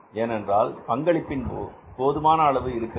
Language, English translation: Tamil, Because we have sufficient contribution available